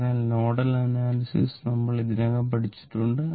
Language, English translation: Malayalam, So, here nodal analysis we have already studied